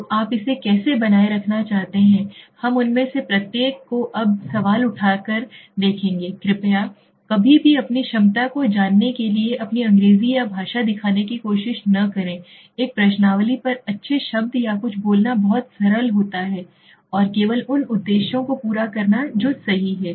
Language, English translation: Hindi, So how do you want to keep it structure, we will see each of them the question wording now please, please do not ever try to show your English or your language you know your ability to speak good words or something on a questionnaire has to be is meant to be very simple and it should only meet the objectives that is all, right